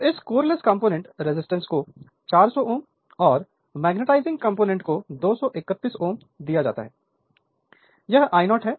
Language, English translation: Hindi, So, this core less component resistance is given 400 ohm and magnetising component it is given 231 ohm this is the current I 0